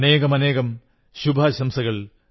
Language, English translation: Malayalam, My best wishes to them